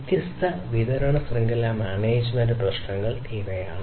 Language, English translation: Malayalam, So, these are the different supply chain management issues